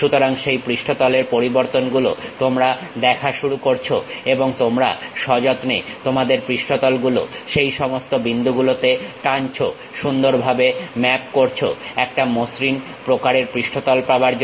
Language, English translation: Bengali, So, that surface variations you start seeing and you carefully pull your surface in all these points, nicely mapped to get a smooth kind of surface